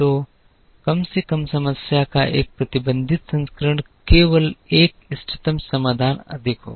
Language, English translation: Hindi, So, a restricted version of the minimization problem will only have an optimum solution higher